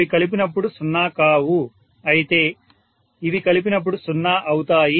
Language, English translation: Telugu, It is not going to add up to 0, whereas these add up to 0, these add up to 0